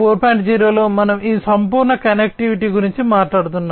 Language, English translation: Telugu, 0, we are talking about this holistic connectivity